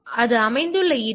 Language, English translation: Tamil, So, where the it is located